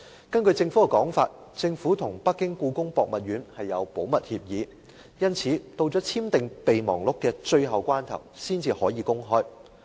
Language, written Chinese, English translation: Cantonese, 根據政府的說法，政府跟北京故宮博物院簽有保密協議，因此到了簽訂《合作備忘錄》的最後關頭才能公開。, According to the Government as it had signed a confidentiality agreement with the Beijing Palace Museum the relevant details could only be made public immediately before signing MOU